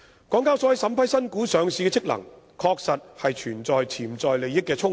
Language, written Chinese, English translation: Cantonese, 港交所在審批新股上市的職能上，確實存在潛在利益衝突。, Speaking of the function of vetting and approving new listing applications HKEx honestly has potential conflicts of interest